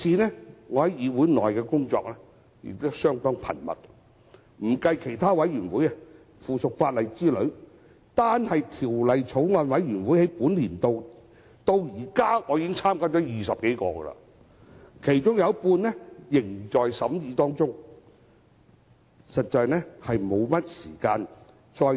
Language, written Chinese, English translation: Cantonese, 我在議會的工作相當繁重，不計其他委員會及附屬法例委員會等，單是本年度我至今已加入超過20個法案委員會，其中有一半仍在審議階段。, My work in this Council is quite onerous excluding other committees and subcommittees on subsidiary legislation I have joined more than 20 Bills Committees this year and half of them are still scrutinizing bills